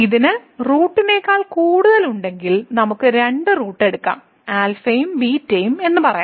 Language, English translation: Malayalam, So, if it has more than root then we can take any two roots let us say alpha and beta